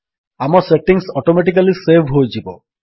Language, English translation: Odia, Our settings will be saved automatically